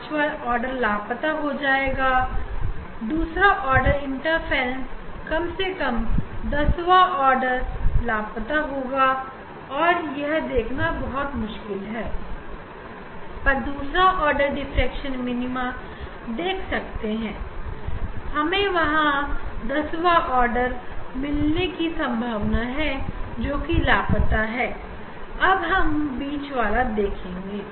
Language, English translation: Hindi, fifth order will be missing, then it is second order diffraction a minimum tenth order will be missing, but here it is difficult to see here it is difficult to see, but I can see the second order diffraction minima